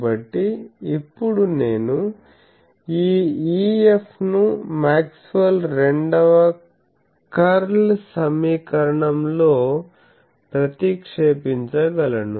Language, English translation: Telugu, So, now, I can substitute this E F in the Maxwell’s Second Curl equation